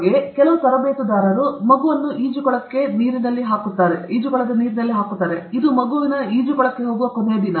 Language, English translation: Kannada, Like, some coaches will just put the child into the swimming pool, into the water; that is a last day the child will go to swimming pool